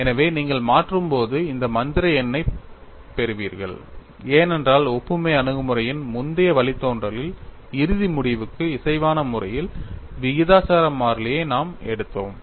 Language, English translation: Tamil, So, when you substitute, you will get that magical number, because in the earlier derivation of the analogy approach, we simply took the proportionality constant in a manner which is consistent with the final result